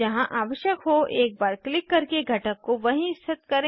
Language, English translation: Hindi, Now click once to place the component wherever required